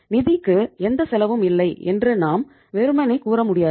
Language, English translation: Tamil, You cannot simply say that finance has no cost